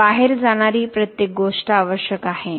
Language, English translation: Marathi, So, everything that is going into an out is needed